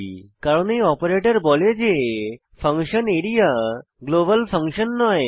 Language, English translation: Bengali, It specifies that function area is not a global function